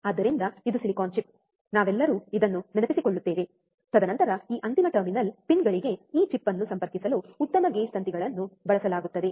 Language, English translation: Kannada, So, this is the silicon chip, right we all remember this, and then fine gauge wires are used to connect this chip to the this final terminal pins